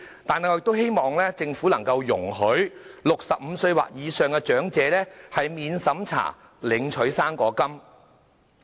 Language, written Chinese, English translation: Cantonese, 但是，我們都希望政府能夠容許65歲或以上的長者免審查領取"生果金"。, We hope the Government can also lower the eligible age for the non - means - tested fruit grant to 65